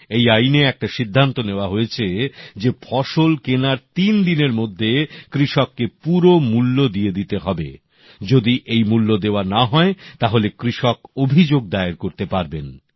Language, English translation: Bengali, Under this law, it was decided that all dues of the farmers should be cleared within three days of procurement, failing which, the farmer can lodge a complaint